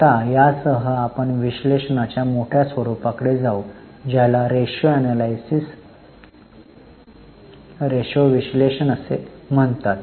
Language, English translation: Marathi, Now, with this, we will go to major form of analysis that is known as ratio analysis